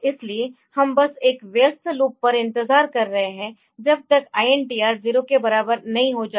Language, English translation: Hindi, So, we are just waiting on a busy loop, till INTR becomes equal to 0